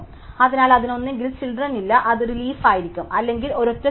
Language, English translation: Malayalam, So, therefore it will have either no children it will be a leaf or it will have a single child